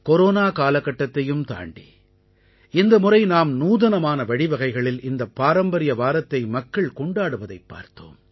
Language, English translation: Tamil, In spite of these times of corona, this time, we saw people celebrate this Heritage week in an innovative manner